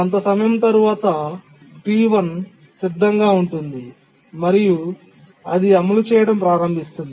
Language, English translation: Telugu, And after some time T4 becomes ready, it starts executing